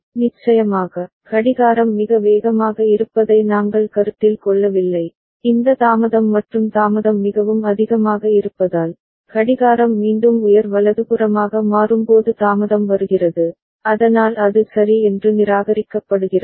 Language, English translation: Tamil, Of course, we are not considering clock to be so fast that this delay and delay is so much that delay is coming when the clock is again becoming high right, so that is ruled out ok